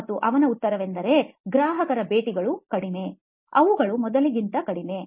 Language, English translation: Kannada, And his answer was customer visits are few, are fewer than they used to be